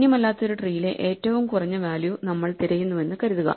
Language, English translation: Malayalam, Let us assume that we are looking for the minimum value in a non empty tree